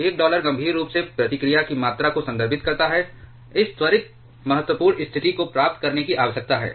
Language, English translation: Hindi, One dollar refers to the amount of critically the amount of reactivity requires to achieve this prompt critical condition